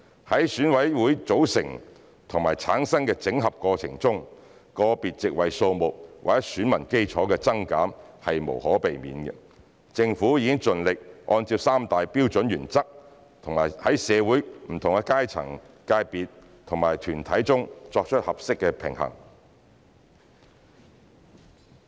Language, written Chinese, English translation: Cantonese, 在選委會組成和產生辦法的整合過程中，個別席位數目或選民基礎的增減是無可避免的，政府已盡力按照三大標準原則在社會不同階層、界別和團體之間作出合適平衡。, In the course of consolidating the method for and the composition of EC it is inevitable for the individual number of seats or the electorate to increase or decrease . The Government has tried its best to strike a proper balance among different classes sectors and groups in society in accordance with the principles of three major standard principles